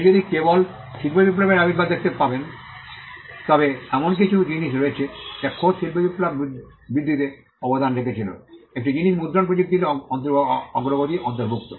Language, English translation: Bengali, If you just see the advent of industrial revolution, there are certain things that contributed to the growth of industrial revolution itself; one of the things include the advancement in printing technology